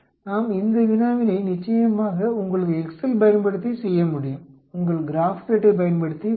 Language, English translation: Tamil, We can do this problem of course using your excel, using your Graphpad also